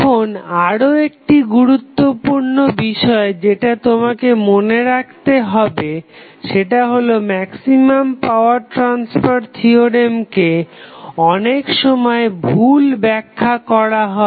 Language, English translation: Bengali, Now, another important thing which you have to keep in mind that maximum power theorem is sometimes misinterpreted